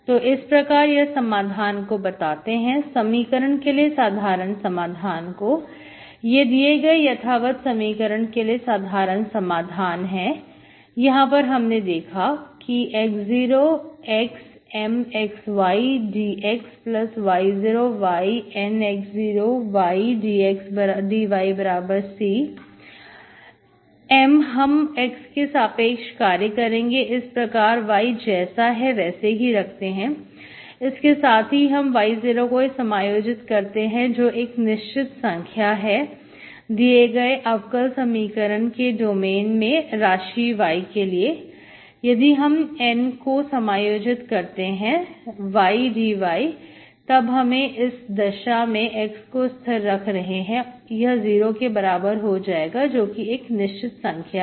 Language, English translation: Hindi, So this implies, solutions, the general solution of the equation, general solution of an exact equation, exact ODE is, we have seen this, x0 to x M of, you are doing with respect to x, okay, so keeping y as a, as it is as a variable plus you integrate y0 which is fixed number in the domain of the differential equation to y which is variable, you integrate N of y dy, x you are fixing, this is going to be x0 equals to constant